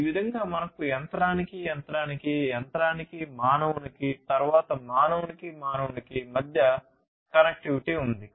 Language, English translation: Telugu, So, we have machine to machine, machine to human, and then human to human